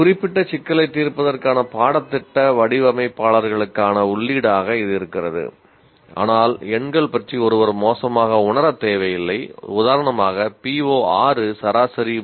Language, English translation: Tamil, While that is the input to the curriculum designers to address that particular issue, but one need not feel bad if the numbers, let's for example PO6, the average is 0